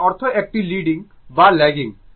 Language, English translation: Bengali, It mean is a leading or lagging, right